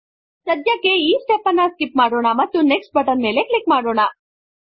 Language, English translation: Kannada, We will skip this step for now, and go to the Next step